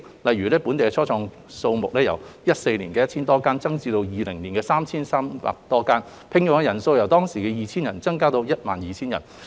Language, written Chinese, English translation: Cantonese, 例如，本地初創企業的數目由2014年的 1,000 多間，增至2020年的 3,300 多間，所聘用的人數亦由 2,000 多增至超過 12,000 人。, For example the number of local start - ups increased from more than 1 000 in 2014 to more than 3 300 in 2020 with their number of employees increasing from more than 2 000 to more than 12 000